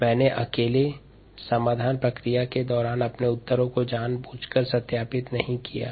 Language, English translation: Hindi, i have deliberately not verified my answers during the solution process alone